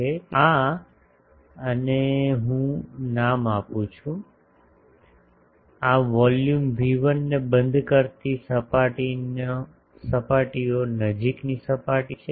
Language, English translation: Gujarati, So, this and let me name this is the surfaces close surfaces enclosing this volume V1